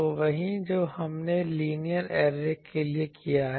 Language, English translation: Hindi, So, the same that we have done for linear array